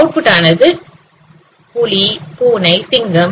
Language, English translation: Tamil, Output is something like whether it is tiger, cat, lion